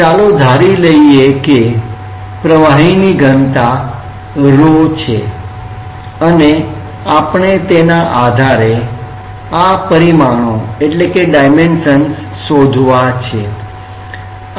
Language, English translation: Gujarati, Let us assume that the density of the fluid is rho and we have to find out based on these dimensions